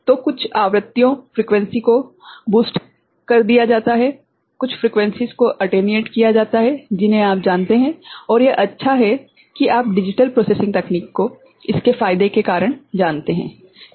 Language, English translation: Hindi, So, some frequencies are boosted, some frequencies are you know, attenuated and all you are, it is good that you know to have a digital processing technique because of its advantages right